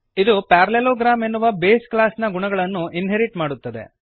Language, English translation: Kannada, It inherits the properties of base class parallelogram